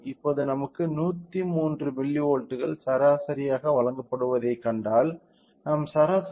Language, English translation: Tamil, So, now, if we see we are provided mean of 103 milli volts, we are getting a mean of minus 1